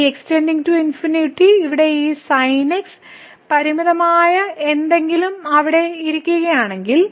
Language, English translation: Malayalam, So, if this x goes to infinity here and this something finite is sitting there